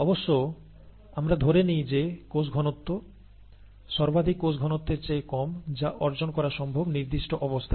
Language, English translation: Bengali, And of course, we are assuming that the cell concentration is less than the maximum cell concentration that is possible to achieve under those set of conditions